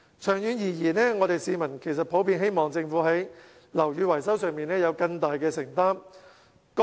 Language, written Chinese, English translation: Cantonese, 長遠而言，市民其實普遍希望政府在樓宇維修上有更大承擔。, In the long run people generally hope that the Government can be more committed to building repairs